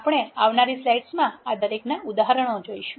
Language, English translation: Gujarati, We will see examples for each of this in the coming slides